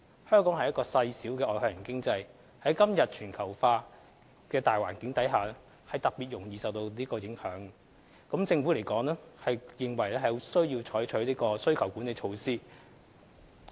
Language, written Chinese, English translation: Cantonese, 香港是個細小的外向型經濟，在今天全球化的大環境下特別容易受到這種影響，政府因而認為有需要採取需求管理措施。, As a small and externally - oriented economy Hong Kong is particularly susceptible to such influences in todays globalized environment . The Government thus finds it necessary to implement demand - side management measures